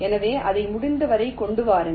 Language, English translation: Tamil, so bring it as much up as possible